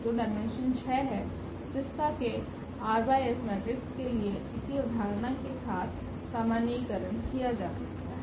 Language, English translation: Hindi, So, the dimension is 6 which we can generalize for r by s matrices also the idea is same